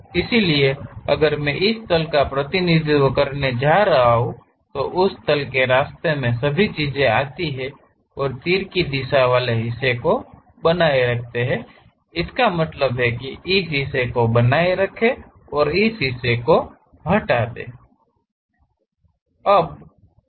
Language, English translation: Hindi, So, if I am going to represent this plane really goes all the way in that way and retain the arrow direction part; that means, retain this part, remove this part